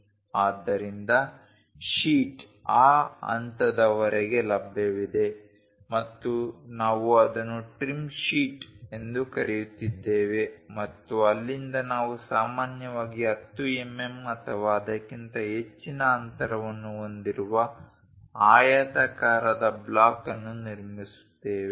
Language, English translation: Kannada, So, the sheet is available up to that level and we are calling that one as the trim sheet and from there usually we construct a rectangular block with minimum spacing as 10 mm or more